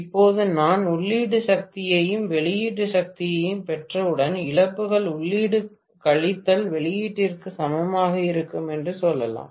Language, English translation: Tamil, Whatever is the output divided by efficiency will give me the input power, now once I get the input power and output power I can say losses will be equal to input minus output, right